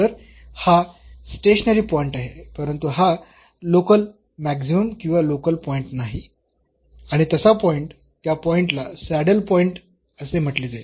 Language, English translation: Marathi, So, this is a stationary point, but this is not a local maximum or local minimum and such a point, such a point will be called as the saddle point